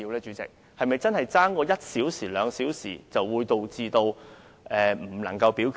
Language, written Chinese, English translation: Cantonese, 主席，假如相差一兩小時，會否導致不能進行表決呢？, President will a delay of one or two hours prevent the voting from being conducted?